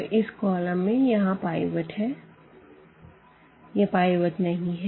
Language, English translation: Hindi, This is the pivot here in the first column, this is not pivot